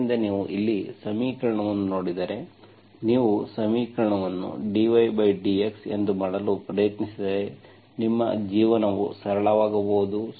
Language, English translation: Kannada, So if you, at the, looking at the equation here, you try to make the equation as that dx by dy, then your life may be simpler